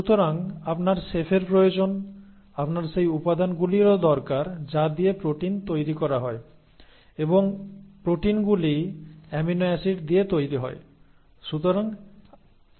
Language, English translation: Bengali, So you need the chef, you also need the ingredients with which the proteins are made and proteins are made up of amino acids